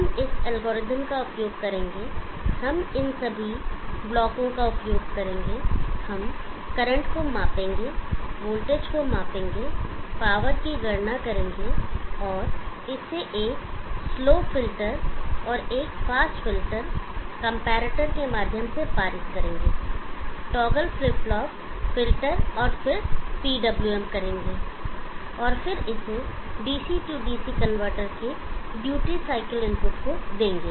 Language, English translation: Hindi, We will use this algorithm, we will use all these blocks, we will measure the current, measure the voltage, calculate the power, pass it through a slow filter and a fast filter, comparator, toggle flip flop filter, and then PWM and giving it to the duty cycle input of a DC DC convertor